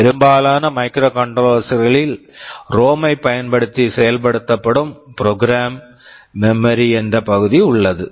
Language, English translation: Tamil, In most microcontrollers there is an area of program memory which is implemented using ROM